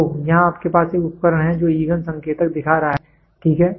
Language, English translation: Hindi, So, in here you have a device which is which is showing the fuel indicator, ok